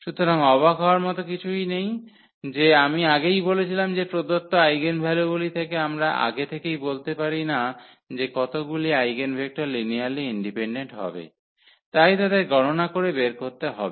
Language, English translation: Bengali, So, not surprising as I said before that for given eigenvalues we cannot predict in advance at how many eigenvalue vectors will be linearly independent so, we have to compute them